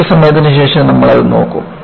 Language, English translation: Malayalam, We will look at it, a little while later